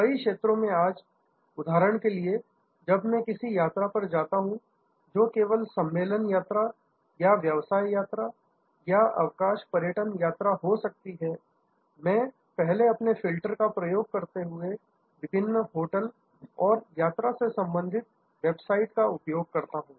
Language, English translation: Hindi, In many fields today for example, whenever I go to on any trip, be it a conference trip or a business trip or a leisure tourism trip, I first use various hotel and travel related sites to use their filters